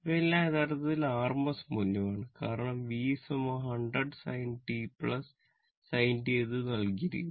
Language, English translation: Malayalam, These all are actually your rms value because VIs equal to given 100 your 100 sin 40 t this is given right